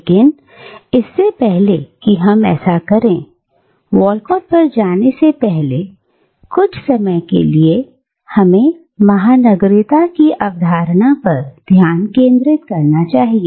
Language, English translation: Hindi, But before we do that, before we move on to Walcott, let me dwell upon the concept of cosmopolitanism for a while